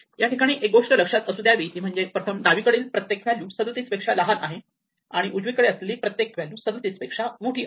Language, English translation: Marathi, So, we look to the left and find the maximum value remember that everything to the left is smaller than 37 and everything to the right is bigger than 37